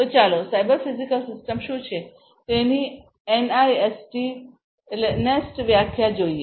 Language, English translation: Gujarati, So, let us look at the NIST definition of what a cyber physical system is